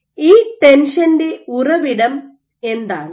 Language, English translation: Malayalam, So, what is the source of this tension